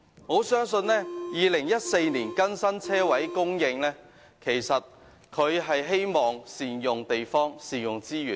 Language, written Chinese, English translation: Cantonese, 我相信當局在2014年就泊車位供應更新《規劃標準》，是旨在善用地方和資源。, I think the purpose of updating the standard of parking spaces in HKPSG in 2014 is to make good use of spaces and resources